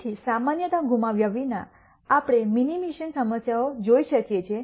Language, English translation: Gujarati, So, in without loss of generality we can look at minimization problems